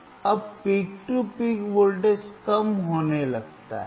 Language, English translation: Hindi, Now the peak to peak voltage start in decreasing